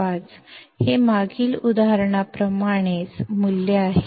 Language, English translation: Marathi, 05, this is same value like the previous example